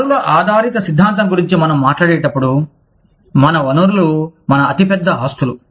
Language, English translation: Telugu, When we talk about, resource based theory, we say, our resources are our biggest assets